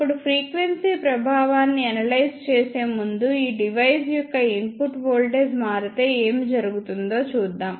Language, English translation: Telugu, Now, before analyzing the effect of frequency let us see what happens if input voltage of this device changes